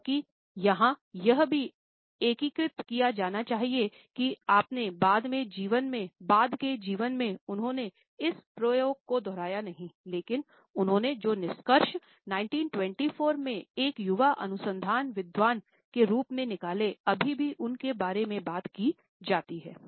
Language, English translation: Hindi, Although, it must also be integrated here that in his later life he never repeated this experiment, but the findings which he stumbled upon as a young research scholar in 1924 are still talked about